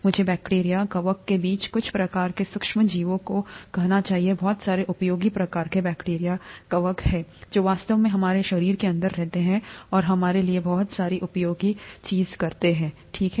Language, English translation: Hindi, I would should say some types of micro organisms among bacteria, fungi; there are a lot of very useful types of bacteria, fungi, which actually reside inside our body and do a lot of useful things for us, okay